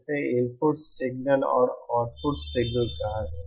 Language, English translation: Hindi, That is say an input signal and an output signal